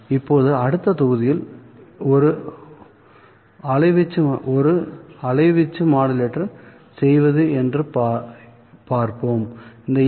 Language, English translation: Tamil, Now in the next module we will see how to make an amplitude modulator